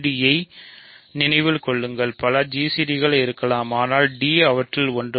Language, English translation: Tamil, Remember g c d there may exist several g c d s, but d is one of them